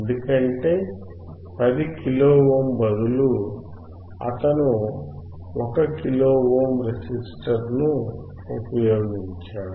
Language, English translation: Telugu, Because instead of 10 kilo ohm, he used a resistor of one kilo ohm